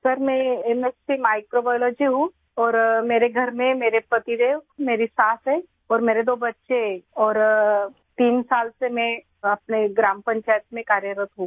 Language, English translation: Hindi, Sir, I am MSC Microbiology and at home I have my husband, my motherinlaw and my two children and I have been working in my Gram Panchayat for three years